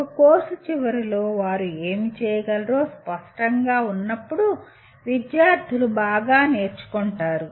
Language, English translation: Telugu, Students learn well when they are clear about what they should be able to do at the end of a course